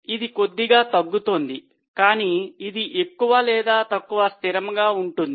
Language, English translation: Telugu, It is slightly going down but it's more or less constant